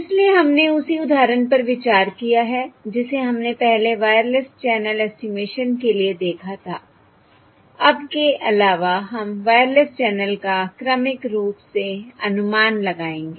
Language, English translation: Hindi, So we have considered the same example that weve seen previously for Wireless Channel Estimation, except now we will estimate the Wireless Channel sequentially